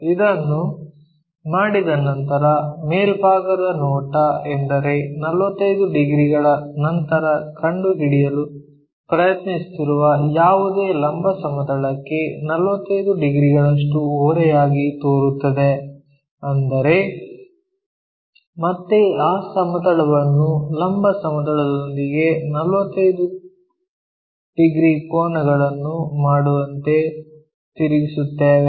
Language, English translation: Kannada, Once it is done, the top view means after that 45 degrees whatever we are trying to locate that is going to make 45 degrees inclined to vertical plane so; that means, again we will rotate that plane into making 45 angle with the vertical plane